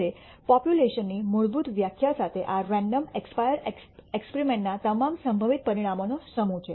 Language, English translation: Gujarati, Now, with basic definition of population is the set of all possible outcomes of this random expire experiment